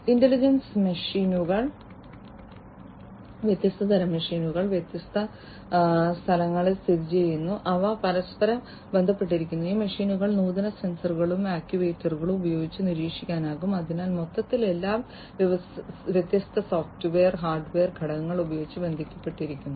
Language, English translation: Malayalam, Intelligent machines, different kinds of machines, are located at different locations and they are interconnected, these machines can be monitored using advanced sensors and actuators and so, overall everything is connected using different software and hardware elements